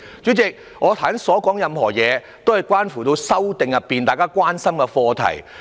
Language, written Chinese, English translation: Cantonese, 主席，我剛才所說種種，均關乎《條例草案》中大家所關心的課題。, President all the aforesaid problems are issues of public concern in respect of the Bill